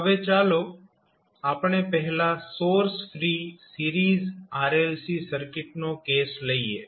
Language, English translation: Gujarati, Now, let us first take the case of source free series RLC circuit